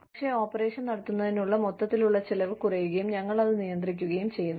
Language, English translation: Malayalam, But, the overall cost of running the operation, goes down, and we manage